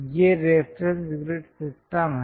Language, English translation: Hindi, These are the reference grid system